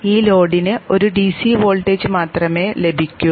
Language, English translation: Malayalam, This load is supposed to get only a DC voltage